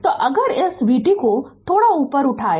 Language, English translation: Hindi, So, if we move little bit a little bit up right this vt